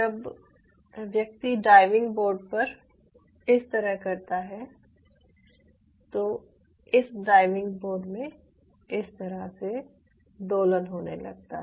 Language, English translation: Hindi, so once this person start doing it, this diving board starts to, you know, oscillate like this